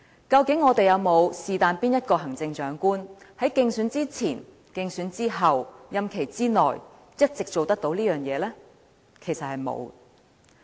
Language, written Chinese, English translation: Cantonese, 究竟我們是否有任何一位行政長官在競選之前、競選之後、任期之內，一直做得到這件事呢？, Has Chief Executive ever been able to do so before and after the election and during the term of his office?